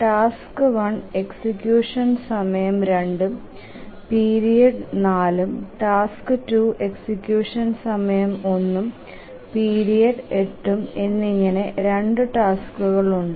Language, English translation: Malayalam, Now there are two tasks, execution time 2, period 4, task 2, execution time 1, period 8